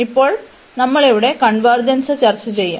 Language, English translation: Malayalam, And now we will discuss the convergence here